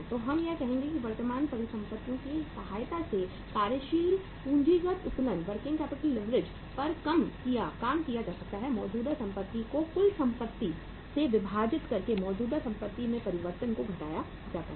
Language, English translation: Hindi, So we would say that working capital leverage can be worked out with the help of current assets divided by the total assets minus change in the current assets